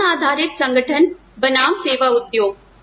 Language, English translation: Hindi, Knowledge based organizations versus service industry